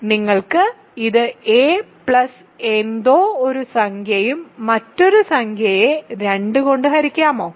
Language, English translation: Malayalam, Can you write this as a plus something an integer plus another integer divided by 2